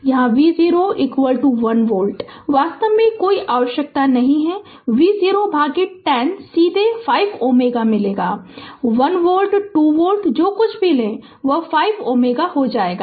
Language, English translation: Hindi, Here I have taken v 0 is equal to 1 volt, no need actually v 0 by 1 0 directly we will get 5 ohm right; 1 volt, 2 volt whatever you take right, it will become 5 ohm